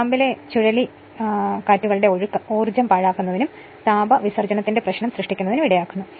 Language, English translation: Malayalam, The flow of eddy currents in the core leads to wastage of energy and creates the your problem of heat dissipation right